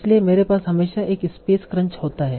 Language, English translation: Hindi, So I always have a space crunch